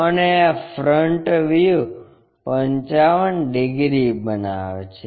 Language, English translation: Gujarati, And, this front view makes 55 degrees